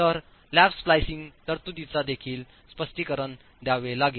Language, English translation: Marathi, So lap splicing provisions also have to be accounted for